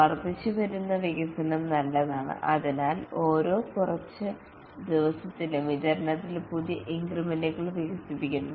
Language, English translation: Malayalam, Incremental development is good, therefore every few days new increments are developed and delivered